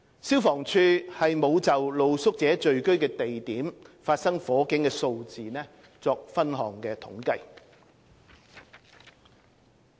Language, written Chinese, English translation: Cantonese, 消防處沒有就露宿者聚居地點發生火警的數字作分項統計。, The Fire Services Department does not have the breakdown on the number of fires occurred at places where street sleepers congregated